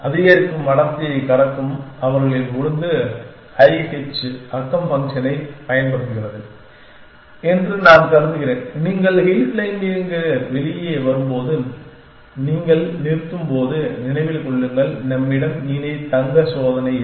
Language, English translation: Tamil, I am assuming that their order crossing to increasing density use the i h neighborhood function and when you terminate when you come out of hill claiming remember there we no longer have the notional gold test